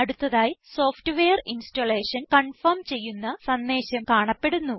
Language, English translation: Malayalam, Next a Software Installation confirmation message appears